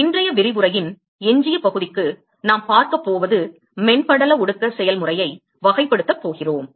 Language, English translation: Tamil, So, what we are going to see for the rest of today’s lecture is going we are going to characterize the film condensation process